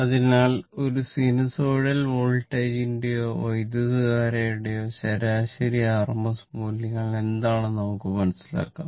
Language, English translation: Malayalam, So now, average and rms values of a sinusoidal voltage or a current right